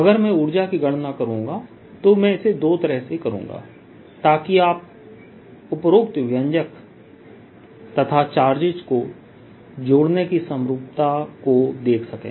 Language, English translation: Hindi, if i would calculate the energy, i will do it in two so that you see the equivalence of assembling the charges and this expression that i have written above